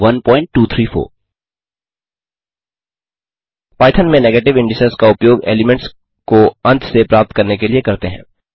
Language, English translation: Hindi, In python negative indices are used to access elements from the end